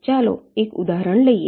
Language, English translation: Gujarati, lets take an example